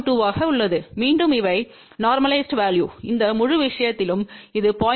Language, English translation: Tamil, 2; again these are normalized value , along this entire thing this is 0